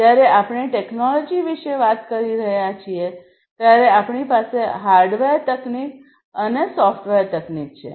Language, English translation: Gujarati, So, when we are talking about technology basically we have the hardware technology and the software technologies, right